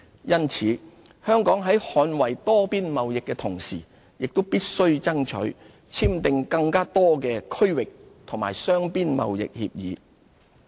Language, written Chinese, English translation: Cantonese, 因此，香港在捍衞多邊貿易的同時，也必須爭取簽訂更多的區域和雙邊貿易協議。, While safeguarding multilateral trade Hong Kong must also strive to conclude more regional and bilateral trade agreements